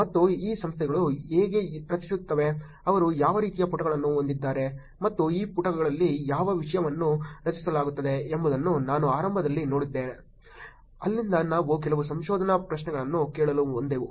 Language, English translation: Kannada, And we looked at initially how these organizations create, what kind of pages do they have, and what content are getting generated on this pages, from there we went on to ask some research questions are on that